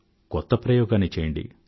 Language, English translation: Telugu, Try a new experiment